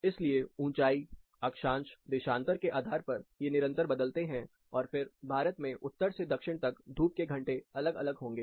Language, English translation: Hindi, So, depending on altitude, latitude, longitude, these vary and again Sunshine hours will vary from north to south of India